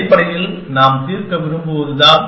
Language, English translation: Tamil, Essentially is what we want to solve